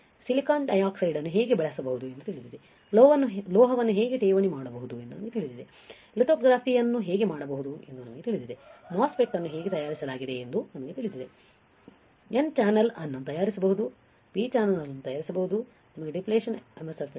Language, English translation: Kannada, We know how we can grow silicon dioxide, we know how we can deposit a metal, we know how we can do lithography, we know how a MOSFET is fabricated, we can fabricate n channel, we can fabricate a p channel, we know the depletion MOSFET